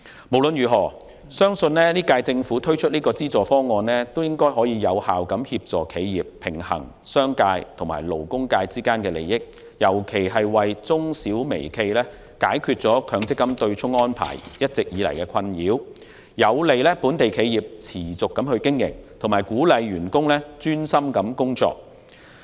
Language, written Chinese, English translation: Cantonese, 無論如何，本屆政府推出這項資助方案相信能有效協助企業，平衡商界及勞工界之間的利益，尤其是為中小微企解決強積金對沖安排一直以來的困擾，有利本地企業持續經營及鼓勵員工專心工作。, In any case I believe the subsidy scheme launched by this Government will be able to help the enterprises strike a balance between the interest of the business sector and the labour sector solve the MPF offsetting arrangement which has beleaguered micro small and medium enterprises for years in particular and also facilitate the sustained operation of local businesses and encourage employees to concentrate on their work